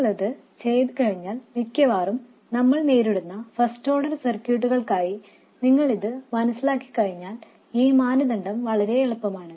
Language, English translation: Malayalam, And once you do that, once you understand these things for first order circuits which is what we most often encounter, the criterion is really easy